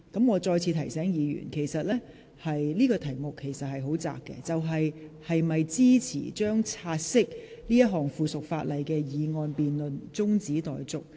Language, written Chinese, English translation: Cantonese, 我再次提醒議員，這項辯論的範圍很窄，即本會應否將該項附屬法例的"察悉議案"辯論中止待續。, I would like to remind Members once again that the scope of this debate is very narrow ie . whether this Council should adjourn the debate on the take - note motion in relation to this subsidiary legislation